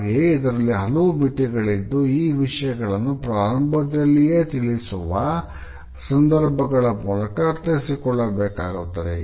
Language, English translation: Kannada, At the same time, there are certain limitations to it and these discussions should be understood within the context which has been specified in the very beginning